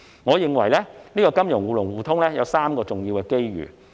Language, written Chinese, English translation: Cantonese, 我認為金融互聯互通有3個重要的機遇。, In my view there are three major opportunities presented by the mutual access between financial markets